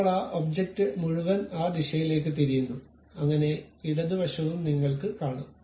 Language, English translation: Malayalam, Now, that entire object is flipped in that direction, so that you will see that left one